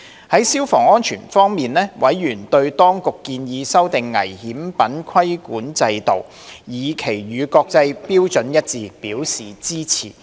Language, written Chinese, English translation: Cantonese, 在消防安全方面，委員對當局建議修訂危險品規管制度，以期與國際標準一致，表示支持。, On fire safety members expressed support for the Administrations proposal to amend the regulatory system of dangerous goods with a view to aligning it with the international standards